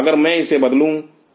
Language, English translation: Hindi, If I change this